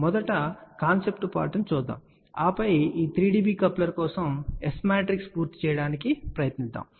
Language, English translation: Telugu, Let us just see first the concept part and then we will try to complete the S matrix for this 3 dB coupler